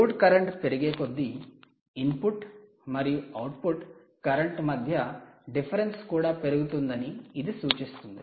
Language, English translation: Telugu, that means as the load current increases, the input current difference between the input and the output current also increases, right